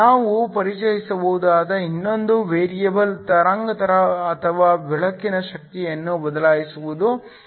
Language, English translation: Kannada, Another variable we can introduce is to change the wavelength or the energy of the light